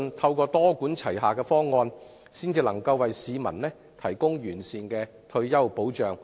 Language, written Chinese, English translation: Cantonese, 透過多管齊下的方案，市民才可獲得完善的退休保障。, It is only through a multi - pronged approach can members of the public receive the best retirement protection